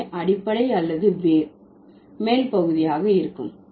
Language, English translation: Tamil, So, the base or the root would be the upper part word